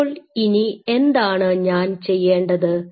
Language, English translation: Malayalam, So, then what you can do